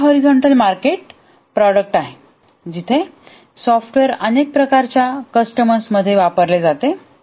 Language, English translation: Marathi, One is a horizontal market, this is a product for horizontal market where the software is used across many types of customers